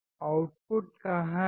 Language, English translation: Hindi, Where is the output